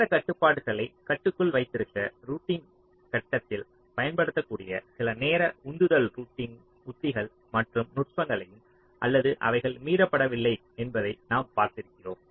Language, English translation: Tamil, we have looked at some of the timing driven routing strategies and techniques that can be used in the routing phase to keep the timing constraints in check or they are not getting violated